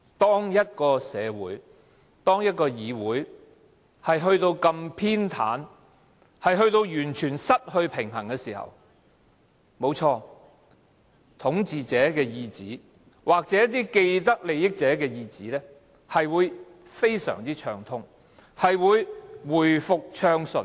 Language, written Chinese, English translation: Cantonese, 當一個社會、議會到了這麼偏袒，完全失去平衝的地步，沒錯，統治者的意旨或一些既得利益者的意旨，是會非常暢通地實行，一切都會回復暢順。, Indeed when our society or legislature is plunged into such as state of partiality and total imbalance the dictates of the power or people with vested interests can always be implemented smoothly and everything will run smoothly once again